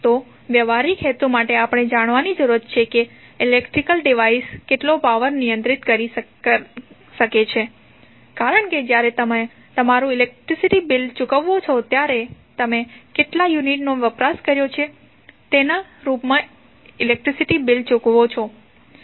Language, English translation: Gujarati, So, what we have to do for practical purpose we need to know how much power an electric device can handle, because when you pay your electricity bill you pay electricity bill in the form of how many units you have consumed